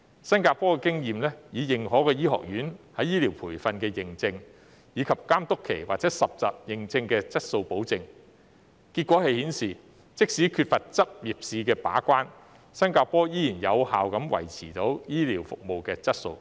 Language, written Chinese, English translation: Cantonese, 新加坡的經驗是，以認可醫學院在醫療培訓的認證，以及監督期或實習認證作質素保證，結果顯示，即使缺乏執業試把關，新加坡依然有效地維持醫療服務的質素。, According to the experience of Singapore quality is assured by accredited medical training in recognized medical schools as well as the supervision period or accreditation for housemanship . Results have shown that Singapore can still effectively maintain the quality of healthcare services even though there is no licensing examination to keep the gate